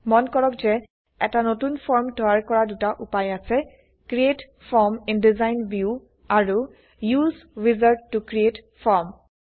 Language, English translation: Assamese, Notice that there are two ways to create a new form: Create Form in Design View and Use Wizard to create form